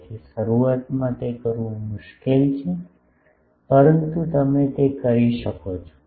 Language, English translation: Gujarati, So, that is difficult to do initially, but you can do it